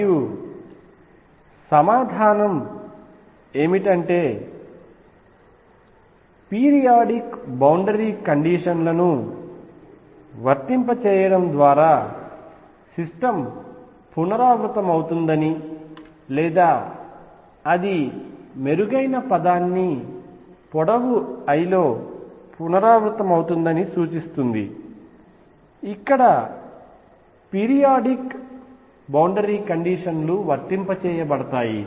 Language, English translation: Telugu, And the answer is that by applying periodic boundary conditions one is implying that the system repeats or better word is replicates itself over that length l, where the periodic boundary conditions are applied